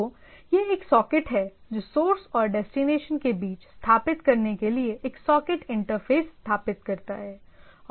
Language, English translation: Hindi, So, it is a socket which is establish a socket interface with establish between the source and destination